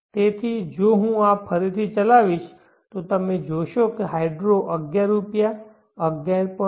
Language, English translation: Gujarati, So if I re run this so you will see that hydro is 11Rs 11